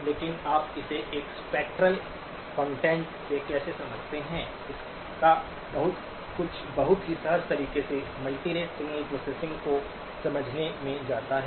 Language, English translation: Hindi, But how do you explain it from a spectral content, and a lot of it goes back to understanding multirate signal processing in a very intuitive way